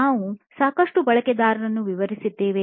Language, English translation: Kannada, Lots of users we detailed out